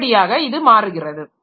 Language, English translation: Tamil, So, that way it changes